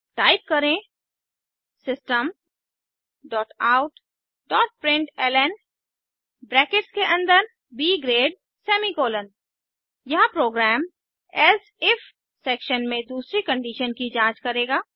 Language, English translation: Hindi, Type System dot out dot println within brackets B grade semi colomn Here, the program will check for the second condition in the Else If section